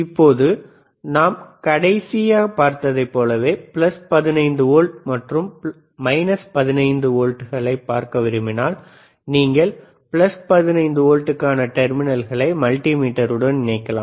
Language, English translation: Tamil, Now, if you want to, if you want to see plus 15 volts and minus 15 volts, similar to last time that we have seen, what we can do can you can connect plus 15 volts